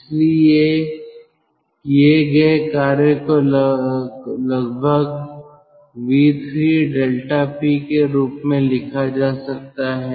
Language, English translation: Hindi, so work done can be written approximately as v three into delta p